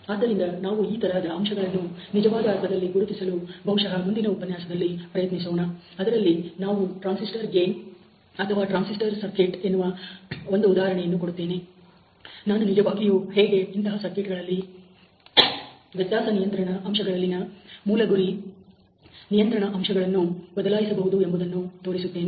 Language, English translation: Kannada, So, we will try to identify some of these factors in a realistic sense probably in the next lecture where I will give you one example of transistor gain or transistor circuit, and I will show you the that how you can change really the target control factors in the variable control factors in such a circuit